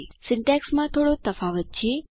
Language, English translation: Gujarati, There are a few differences in the syntax